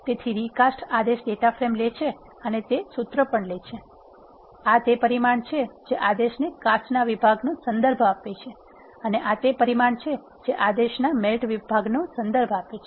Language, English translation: Gujarati, So, recast command takes the data frame and it also takes the formula, this is the parameter that refers to the cast section of the command and this is the parameter, that refers to the melt section of the command